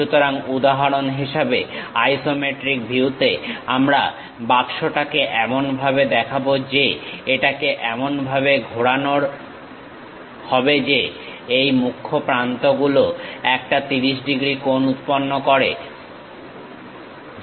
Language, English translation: Bengali, So, for example, in the isometric view the box; we will represent it in such a way that, it will be rotated in such a way that one of these principal edges makes 30 degree angle